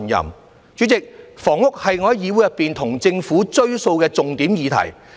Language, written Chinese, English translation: Cantonese, 代理主席，房屋是我在議會中向政府"追數"的重點議題。, Deputy President housing is a major topic that I have been pursuing with the Government in this Council